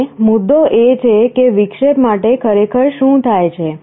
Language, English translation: Gujarati, Now, the point is that for interrupt what really happens